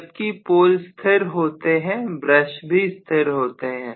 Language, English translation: Hindi, Whereas the poles are stationary the brushes are stationary